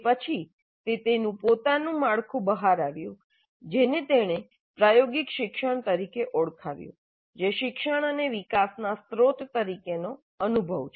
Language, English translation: Gujarati, Then came out with his own framework which he called as experiential learning, experience as the source of learning and development